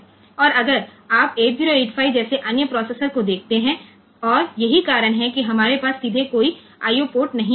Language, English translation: Hindi, And also if you look into other processors like 8085 and all that is why we do not have any IO port directly